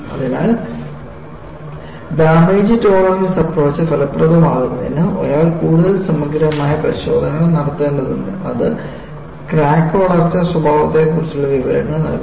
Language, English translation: Malayalam, So, obviously, for damage tolerance approach to be effective, one needs to device more comprehensive test, that gives information on crack growth behavior